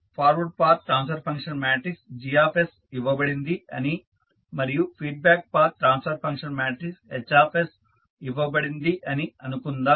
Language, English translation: Telugu, Now, let us take one example suppose forward path transfer function matrix is Gs given and the feedback path transfer function matrix is Hs it is given